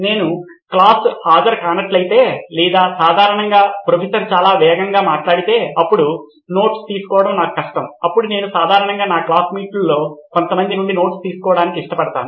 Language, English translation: Telugu, It is generally a two way process if I have missed a class or say for example if Professor speaks too fast then it is difficult for me to take down notes then I generally prefer taking notes from few of my classmates